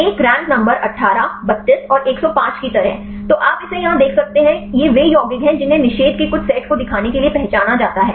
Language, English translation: Hindi, Like a rank number 18, 32 and 105; so, you can see this here these are the compounds which are identified to show some set of inhibition